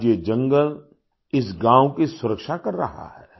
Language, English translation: Hindi, Today this forest is protecting this village